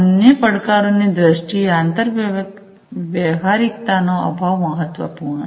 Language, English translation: Gujarati, In terms of other challenges lack of interoperability is important